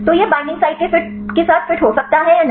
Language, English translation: Hindi, So, whether this can fits with the binding site or not